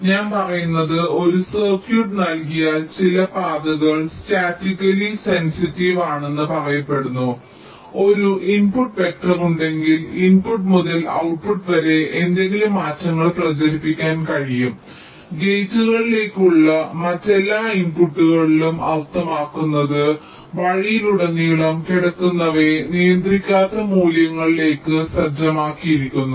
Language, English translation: Malayalam, so what i say is that, given a circuit, some path is said to be statically sensitizable if there is an input vector such that so, from the input to the output, any changes can be propagated, means um in all the other inputs to the gates that lie along the way are set to non controlling values, and this static sensitization will be independent of gate delays